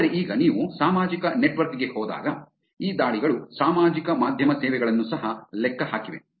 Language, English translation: Kannada, But now when you move on to the social network, these attacks have also calculated the social media services also